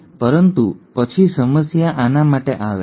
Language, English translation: Gujarati, But then the problem comes for this one